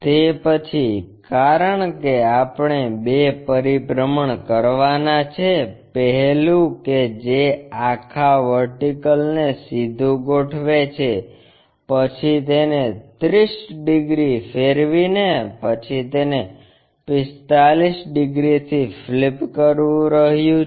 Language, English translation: Gujarati, After that because two rotations we have to do; one is first aligning this entire vertical one, then rotating it by 30 degrees then flipping it by 45 degrees